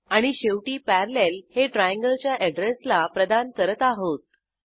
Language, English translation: Marathi, And at last we assign Parallel to the address of Triangle trgl